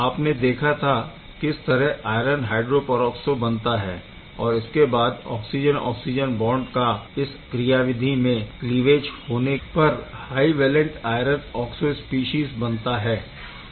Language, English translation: Hindi, Where you have seen that iron hydroperoxo is being formed and then oxygen, oxygen bond is cleaved in the process to give the high valent iron oxo species